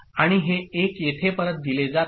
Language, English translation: Marathi, And this 1 is fed back here